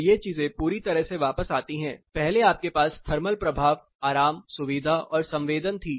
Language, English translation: Hindi, So, these things totally come back, first you had the thermal effect thermal affect, comfort discomfort and sensation